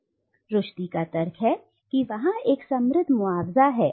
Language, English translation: Hindi, But Rushdie argues that there is a rich compensation